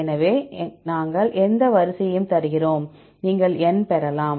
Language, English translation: Tamil, So, we give any sequence, you can get this number